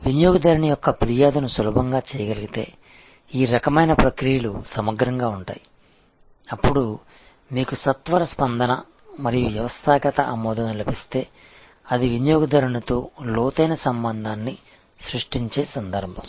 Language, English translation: Telugu, This is the kind of processes thorough which if you can actually make customer's complaint easily and then, you have a quick response and the systemic acceptance, then it is an occasion of creating deeper relationship with that customer